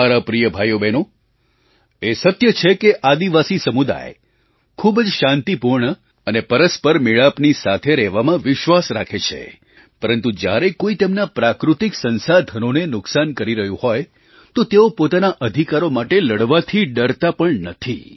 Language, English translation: Gujarati, My dear brothers and sisters, this is a fact that the tribal community believes in very peaceful and harmonious coexistence but, if somebody tries to harm and cause damage to their natural resources, they do not shy away from fighting for their rights